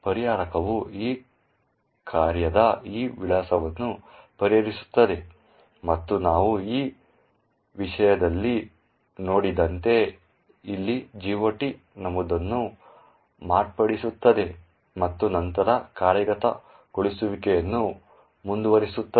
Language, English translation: Kannada, The resolver resolves this address of this function and modifies the GOT entry over here as we see in this thing and then continues the execution